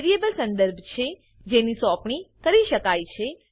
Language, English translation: Gujarati, Variable is a reference that can be assigned